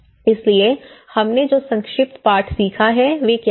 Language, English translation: Hindi, So, what are the brief lessons we have learned